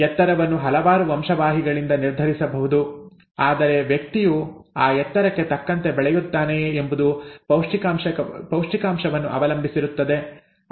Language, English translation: Kannada, The height could be determined by a number of genes but whether the person grows up to the height potential, depends on the nutrition, right